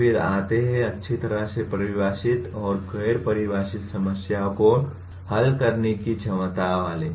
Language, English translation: Hindi, Then come the other one namely ability to solve well defined and ill defined problems